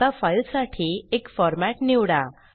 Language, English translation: Marathi, Now let us select a format for the file